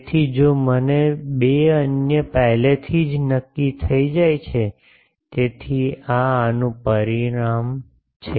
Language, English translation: Gujarati, So, if I find 2 the other already gets determined ok, so, this is the outcome of these